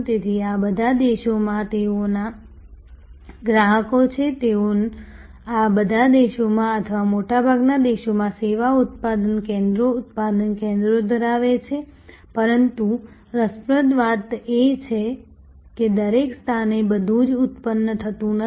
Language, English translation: Gujarati, So, they have customers in all these countries, they have service production centres, product production centres in all these countries or in most of these countries, but interestingly not everything is produced in every location